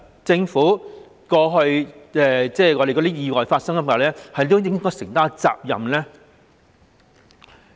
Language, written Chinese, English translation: Cantonese, 政府是否應該對過去發生意外承擔責任呢？, Should the Government be held responsible for past accidents?